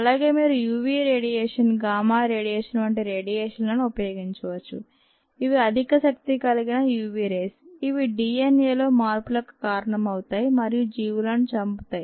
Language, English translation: Telugu, also, you could use radiation such as u v radiation, gamma radiation, which are high energy radiations that can cause changes in the ah, d, n, a and so on, so forth of the organisms and kill the organisms